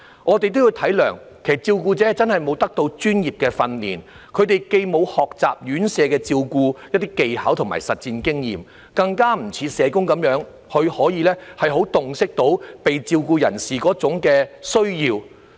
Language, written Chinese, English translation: Cantonese, 我們應體諒照顧者真的沒有接受過專業訓練，既沒有在院舍學習一些照顧技巧和累積實戰經驗，更不像社工那樣可以洞悉被照顧人士的需要。, We should understand that the carers have not received any professional training . They have neither learnt care skills at RCHs nor accumulated actual care experience not to mention the ability to fully understand the needs of the care recipients like social workers